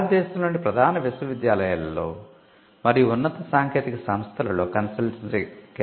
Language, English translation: Telugu, And we had centres for consultancy in the major universities in and higher technical institutions in India